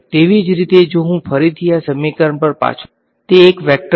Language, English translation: Gujarati, Similarly, the current if I again go back to this equation the first quantity over here is it a scalar or a vector